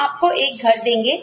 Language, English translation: Hindi, We will give you a house